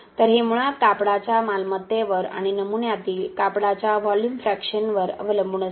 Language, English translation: Marathi, So, it basically depends upon the property of the textile and the volume fraction of textile that is in the specimen